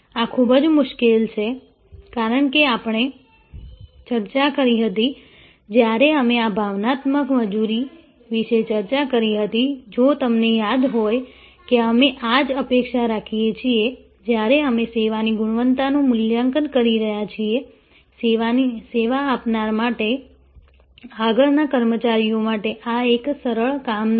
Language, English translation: Gujarati, This is a tough call, because as we discussed, when we discussed about emotional labour, if you recall that though this is what we expect, when we are assessing quality of a service, for the service provider, front line personnel, this is not an easy task